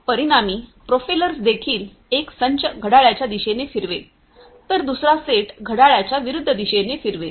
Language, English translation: Marathi, So, consequently the propellers also one set of propellers will rotate in the clockwise direction, the other set will rotate in the counterclockwise direction